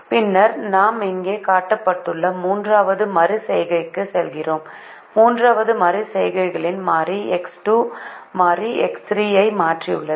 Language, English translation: Tamil, and then we move on to the third iteration, which is shown here, and in the third iteration the variable x two has replaced the variable x three